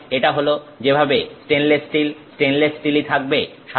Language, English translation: Bengali, So, that is how this stainless steel remains as stainless steel